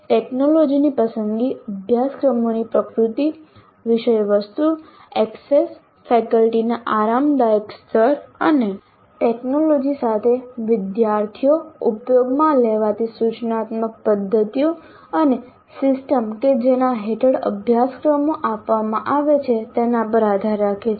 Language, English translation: Gujarati, The choice of technologies depends on the nature of the courses, the content, the access, comfort levels of faculty and students with the technology, instructional methods used, and system under which the courses are offered